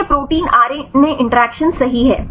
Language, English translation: Hindi, So, this is protein RNA interactions right